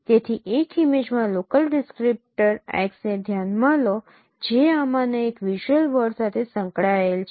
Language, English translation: Gujarati, So consider a local descriptor X in an image and that is associated to one of these visual words